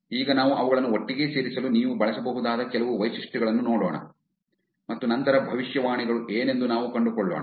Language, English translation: Kannada, Now we look at some features that you can actually use to put them together and then we'll find out about the prediction side